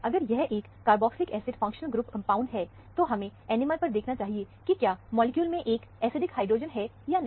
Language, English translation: Hindi, If it is a carboxylic acid functional group compound, we should look at the NMR, and see, whether there are any acidic hydrogen in the molecule